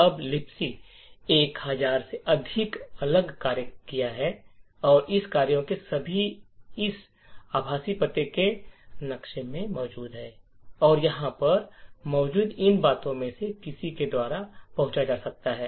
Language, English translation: Hindi, Now LibC has as I mentioned over a thousand different functions and all of this functions are present in this virtual address map and can be access by any of these addresses that are present over here